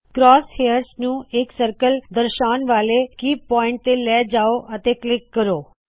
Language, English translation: Punjabi, Move the cross hairs to a key point that indicates the circle and click